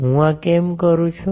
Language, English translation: Gujarati, Why I am doing this